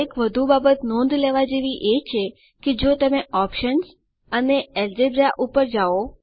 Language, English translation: Gujarati, One more thing to note is if you go to options and Algebra